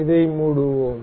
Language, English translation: Tamil, We will close this